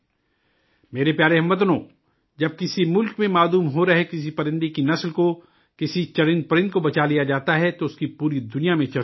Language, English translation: Urdu, My dear countrymen, when a species of bird, a living being which is going extinct in a country is saved, it is discussed all over the world